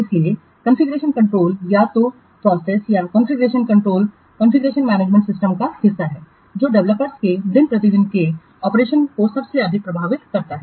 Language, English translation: Hindi, So, configuration control is the process of our configuration control is the part of configuration management system which most directly affects the day to day operations of the developers